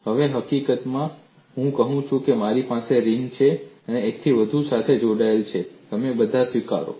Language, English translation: Gujarati, Now, I say I have a ring, this is multiply connected; you all accept